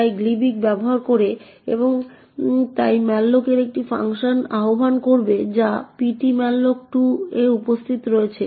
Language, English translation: Bengali, It uses gilibc and hence the malloc would invoke a function which is present in ptmalloc2